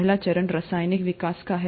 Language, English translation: Hindi, The very first phase is of chemical evolution